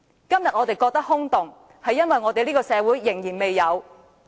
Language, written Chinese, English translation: Cantonese, 今天我們覺得空洞，是因為這個社會仍然未有公平和公義。, We find these ideas empty today because there is still a lack of fairness and justice in this society